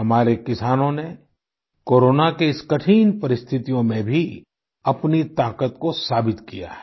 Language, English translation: Hindi, Even during these trying times of Corona, our farmers have proven their mettle